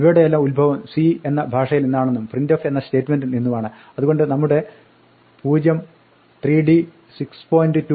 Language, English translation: Malayalam, These all have their origin from the language C and the statement called printf in C, so the exact format statements in our 0, 3d and 6